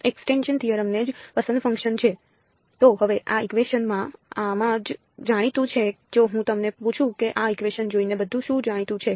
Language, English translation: Gujarati, So, now, in these in these equations what is known if I ask you looking at these equations what all is known